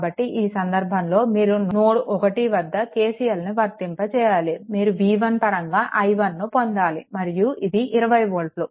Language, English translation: Telugu, So, in this case also you have to to apply KCLs at node 1, you have to obtain i 1 in terms of v 1 and this 20 volt, right